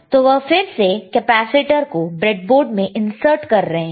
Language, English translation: Hindi, So, again he is inserting the capacitor in the breadboard, right